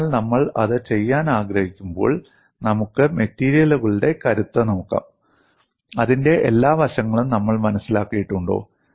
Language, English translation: Malayalam, So, when we want to do that, let us look at in strength of materials, have we understood all aspects of it